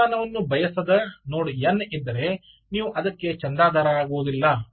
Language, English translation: Kannada, if there is a node n who does not want temperature, you will simply not subscribe to it